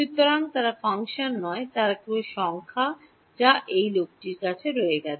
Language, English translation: Bengali, So, they are not functions they are just numbers what is left is this guy